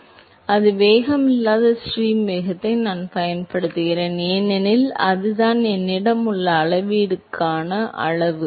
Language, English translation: Tamil, So, I use the same velocity free stream velocity in order to scale the x and the y component, because that is the only measurable quantity that I have